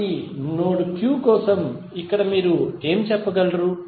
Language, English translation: Telugu, So, here what you can say for node Q